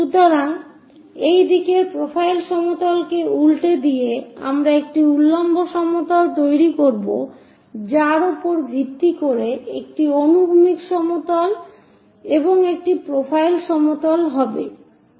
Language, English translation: Bengali, So, by flipping this profile plane in that direction, we will construct a vertical plane followed by a horizontal plane and a profile plane